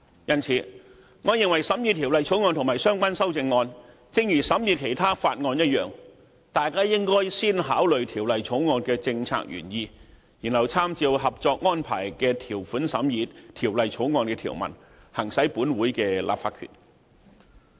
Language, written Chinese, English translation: Cantonese, 因此，我認為大家審議《條例草案》和相關修正案時，應如審議其他法案一樣，應先考慮《條例草案》的政策原意，然後參照《合作安排》的條款審議《條例草案》的條文，行使本會的立法權。, Hence I think Members should examine the Bill and the relevant amendments the same way as other Bills are scrutinized considering first and foremost the policy intent of the Bill then examining the provisions of the Bill with reference to the terms of the Co - operation Arrangement before exercising the legislative power of this Council